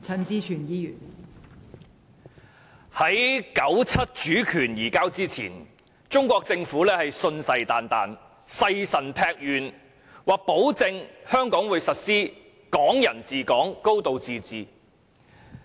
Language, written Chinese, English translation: Cantonese, 在1997年主權移交前，中國政府信誓旦旦，誓神劈願保證香港會實施"港人治港"、"高度自治"。, Before the transfer of sovereignty in 1997 the Chinese Government had vowed adamantly that Hong Kong would implement the principles of Hong Kong people ruling Hong Kong and a high degree of autonomy